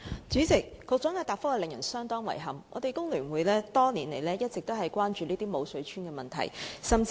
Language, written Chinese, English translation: Cantonese, 主席，局長的答覆令人相當遺憾，香港工會聯合會多年來一直關注這些"無水村"的問題。, President I find the Secretarys reply most regrettable . The issue of these no water villages has been a concern to the Hong Kong Federation of Trade Unions FTU over the years